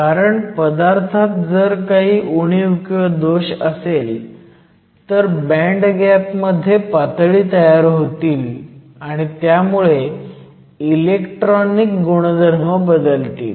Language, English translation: Marathi, This is because defects in a material will introduce states in the band gap, and will change the electronic properties